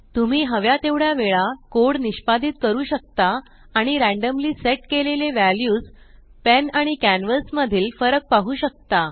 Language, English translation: Marathi, You can execute the code how many ever times you want and note the changes in the randomly set values of the pen and canvas